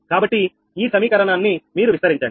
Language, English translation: Telugu, so you expand this equation